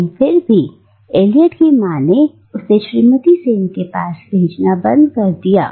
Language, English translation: Hindi, But nevertheless, Eliot’s Mother stops sending him to Mrs Sen’s